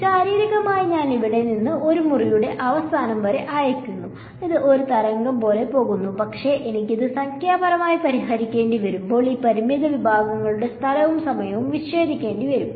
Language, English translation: Malayalam, So, physically I send away from here to the end of this room it goes like a wave, but when I want to solve it numerically I have to discretize chop up space and time of this finite segments